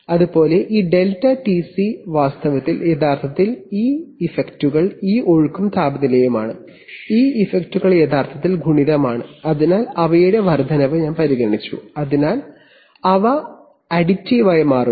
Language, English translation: Malayalam, Similarly this ΔTC in fact, actually these effects are this flow and temperature, these effects actually multiplicative, so I have considered their increment so that they become additive